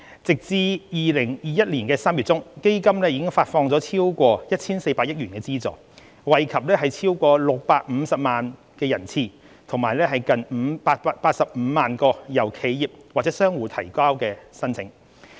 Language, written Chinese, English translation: Cantonese, 截至2021年3月中，基金已發放超過 1,400 億元的資助，惠及超過650萬人次及近85萬個由企業或商戶等提交的申請。, As at mid - March 2021 over 140 billion of subsidies have been disbursed under AEF benefiting over 6.5 million persons and around 850 000 applications submitted by enterprises and businesses